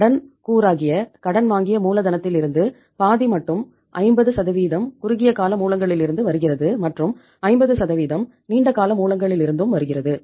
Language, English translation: Tamil, So from the borrowed capital which is a debt component half is coming 50% is coming from the short term sources and 50% is coming from the long term sources